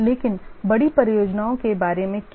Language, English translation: Hindi, But what about large projects